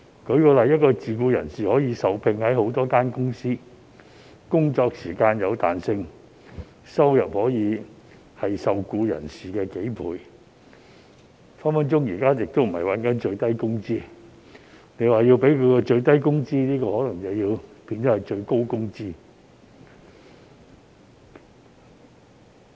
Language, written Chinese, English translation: Cantonese, 舉例來說，一名自僱人士可以受聘於多間公司，工作時間有彈性，收入可以是受僱人士的數倍，隨時並非賺取最低工資，為他提供最低工資，卻可能會變成最高工資。, For example a self - employed person may work for a number of companies with flexible hours whose income could be several times that of a full - time employed person instead of a minimum wage . The introduction of a minimum wage may end up putting a cap on his income